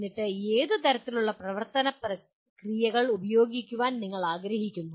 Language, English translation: Malayalam, And then what kind of action verbs do you want to use